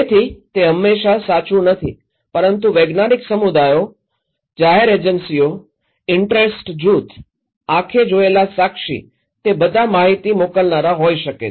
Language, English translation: Gujarati, So, which is not always the case but scientific communities, public agencies, interest group, eye witness they all could be senders of informations